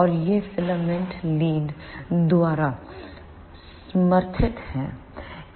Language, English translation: Hindi, And these are supported by the filament leads